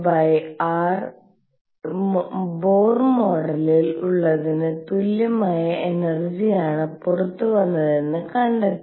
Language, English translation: Malayalam, And found that the energies came out to be precisely the same as that in the Bohr model